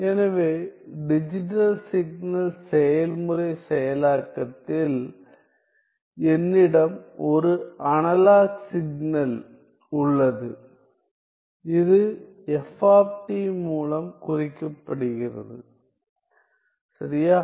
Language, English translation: Tamil, So, in digital signal process processing, I have an analog signal, I have an analog signal, which is denoted by f t